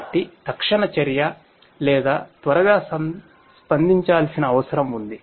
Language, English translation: Telugu, So, there is a need for immediate action or quicker response